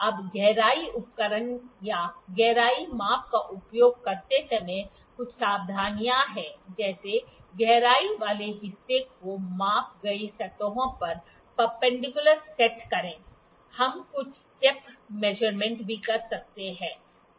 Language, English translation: Hindi, Now while using the depth instrument or the depth measurement there are certain precautions like set the depth part perpendicular to the measured surfaces, also we can do some step measurement